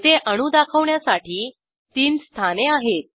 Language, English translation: Marathi, Here we have 3 positions to display atoms